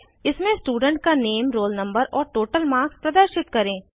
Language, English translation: Hindi, *In this, display the name, roll no, total marks of the student